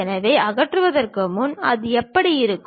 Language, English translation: Tamil, So, before removal, how it looks like